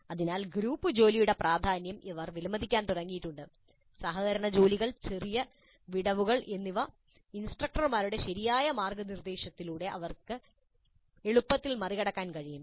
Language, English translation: Malayalam, So they have begun to appreciate the importance of group work, collaborative work, and any small gaps can easily be overcome through proper mentoring by the instructors